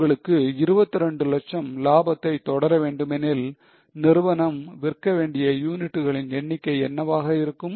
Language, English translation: Tamil, If you want to keep profit of 22 lakhs, what will be the number of units company has to sell